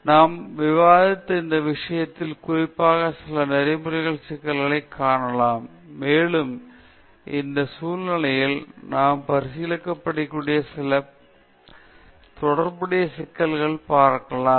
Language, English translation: Tamil, So, let see some of the ethical issues particularly pertaining to this case which we have discussed, and also some of the associated issues which we can consider in this context